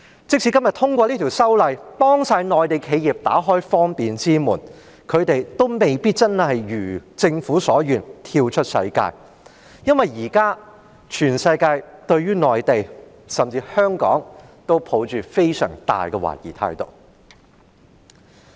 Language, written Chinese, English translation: Cantonese, 即使今天通過《條例草案》，幫所有內地企業打開方便之門，他們亦未必真的一如政府所願，能夠跳出世界，因為現在全世界對於內地甚至香港，都抱着非常大的懷疑。, Even if the Bill is passed today and provides facilitation for all Mainland enterprises they may not really be able to go global as the Government wishes because the whole world is being highly suspicious of the Mainland and even Hong Kong